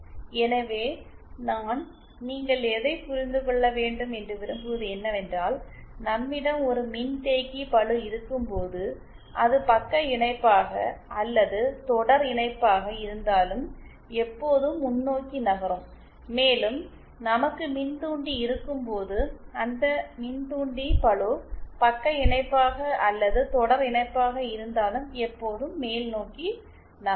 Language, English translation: Tamil, So, essentially what I would like you to understand is that when we have a capacitive load, whether in shunt or in series will always move onwards and when we have inductor, inductive load whether in shunt or in series will always move upwards